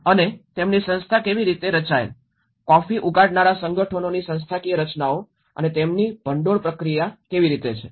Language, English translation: Gujarati, And how their organization structured, the institutional structures of the coffee growers organizations and how their funding process